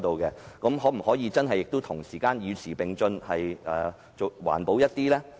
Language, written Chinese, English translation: Cantonese, 政府可否真的與時並進，環保一點？, Can the Government really keep up with the times and become more environmentally friendly?